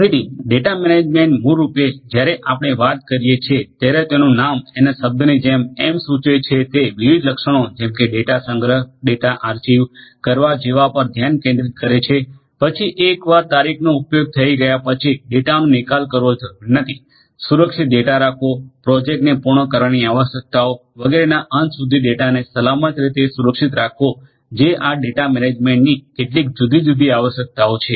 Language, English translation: Gujarati, So, data management basically when we are talking about as the name suggest as the term suggest focuses on different attributes such as storing the data, archiving the data, then once the date has been used and is no longer required disposing of the data, securing the data, keeping the data in a safe manner secured manner at the end of the project completion requirements etcetera, these are some of the different requirements of data management